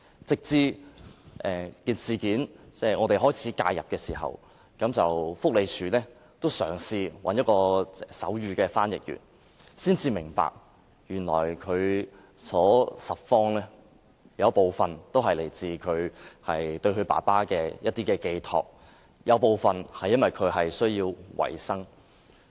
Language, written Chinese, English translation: Cantonese, 直到我們開始介入事件，社署便開始找手語翻譯員協助，才明白原來他拾荒的原因，部分是來自對於父親的寄託，而部分是因為他需要維持生計。, It was not until we intervened that SWD found a sign language interpreter to help . Eventually the reason why he collected scraps was unveiled . It was partly because of a mental projection of his regard about his father and partly because he had to support the sustenance of himself